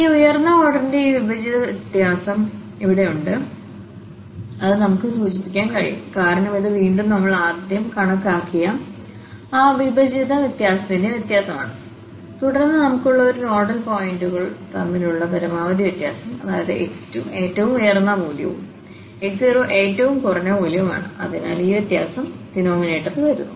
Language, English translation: Malayalam, So, here we have another this divided difference of this higher order, which we can denote, because this is again the difference of those divided difference which we have computed first and then divided with this the maximum difference between these nodal points we have, so x 2 was the highest value x 1 the minimum value, so, that difference is coming in the denominator